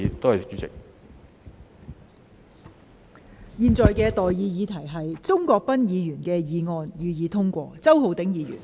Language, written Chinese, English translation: Cantonese, 我現在向各位提出的待議議題是：鍾國斌議員動議的議案，予以通過。, I now propose the question to you and that is That the motion moved by Mr CHUNG Kwok - pan be passed